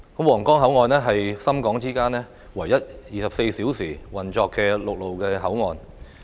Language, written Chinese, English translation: Cantonese, 皇崗口岸是深港之間唯一24小時運作的陸路口岸。, The Huanggang Port is the only land port between Shenzhen and Hong Kong operating on a 24 - hour basis